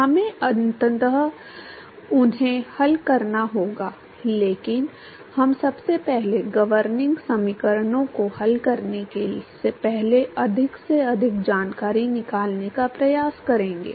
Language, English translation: Hindi, We have to solve them eventually, but we going to first let us try to extract as much information as possible before solving the governing equations